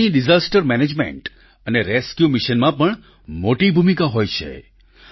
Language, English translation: Gujarati, Dogs also have a significant role in Disaster Management and Rescue Missions